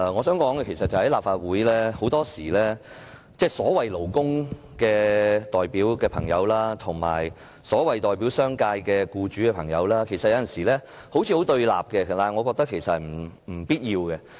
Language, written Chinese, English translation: Cantonese, 在立法會，代表勞工界的朋友及代表商界僱主的朋友有時候好像很對立，但我認為這是不必要的。, In the Legislative Council sometimes representatives of the labour sector and those of the business sector and employers seem to be in confrontation with each other but I consider this unnecessary